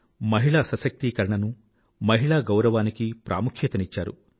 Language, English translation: Telugu, He stressed on women empowerment and respect for women